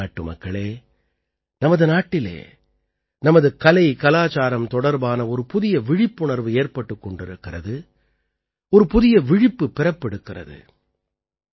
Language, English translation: Tamil, My dear countrymen, a new awareness is dawning in our country about our art and culture, a new consciousness is awakening